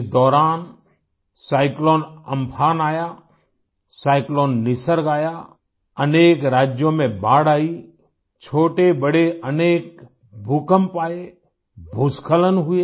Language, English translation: Hindi, Meanwhile, there were cyclone Amphan and cyclone Nisarg…many states had floods…there were many minor and major earthquakes; there were landslides